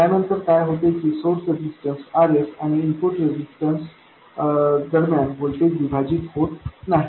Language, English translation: Marathi, Then what happens is that there is no voltage division between the source resistance RS and the input resistance